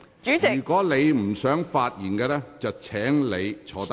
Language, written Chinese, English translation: Cantonese, 如果你不想發言，請你坐下。, Please sit down if you do not wish to speak